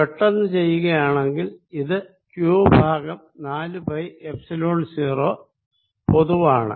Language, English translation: Malayalam, so this comes out to be q over four pi epsilon zero